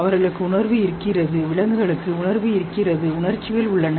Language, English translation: Tamil, They have feeling, primates have feeling, they have emotions